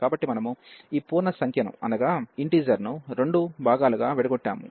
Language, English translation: Telugu, So, we have break this integer into two parts